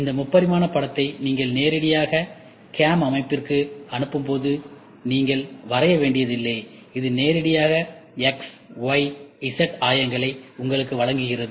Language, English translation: Tamil, And this three dimension image directly when you feed it into the CAM system, you do not have to draw, it directly gives you the x, y, z coordinates